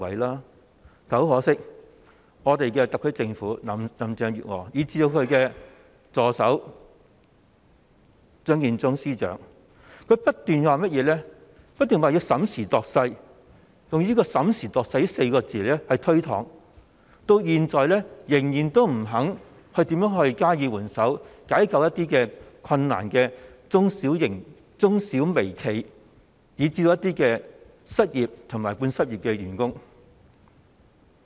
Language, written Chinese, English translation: Cantonese, 但很可惜，特區政府、林鄭月娥以至其助手張建宗司長，只不斷說要審時度勢，用"審時度勢"這4個字來推搪，至今仍然不肯加以援手，解救一些處於困難的中小微企，以至一些失業及半失業的員工。, Nevertheless the SAR Government Carrie LAM and her aide the Chief Secretary Matthew CHEUNG just repeatedly speak of the need to size up the situation using this four - word expression as an excuse for still refusing to offer help to the micro small and medium enterprises MSMEs which are in plight and employees who have become unemployed or underemployed